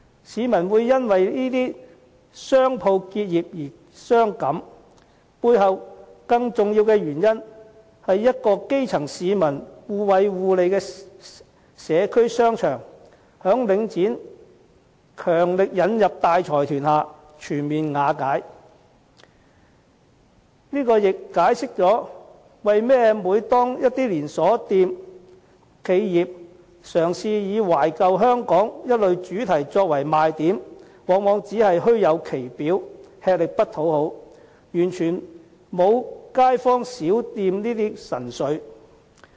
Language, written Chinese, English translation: Cantonese, 市民會因為這些商鋪結業而傷感，背後更重要的原因，是一個讓基層市民互惠互利的社區商場，在領展強力引入大財團下全面瓦解，這亦解釋了為何每當一些連鎖企業，嘗試以"懷舊香港"等主題作賣點時，往往只是虛有其表，吃力不討好，完全沒有街坊小店的神髓。, The public may be upset by the closures of these shops for these shopping arcades in the community which enable the grass roots to gain mutual benefit and render mutual support were ruined completely by Link REIT when it forcefully introduced large consortia into these shopping arcades . This is the significant cause of their emotions . This also explains why promotion programmes on Old Hong Kong launched by chain stores of large enterprises are usually all show but no substance